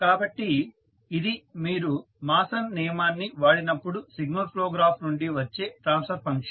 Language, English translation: Telugu, So, this is the transfer function which you will get from the signal flow graph when you apply the Mason’s rule